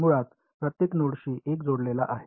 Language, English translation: Marathi, So, one attached to each node basically right